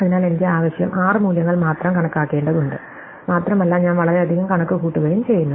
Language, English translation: Malayalam, So, I need only six values totally to be computed and I am making a lot more than six computations